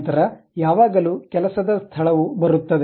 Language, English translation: Kannada, Then the working space always be coming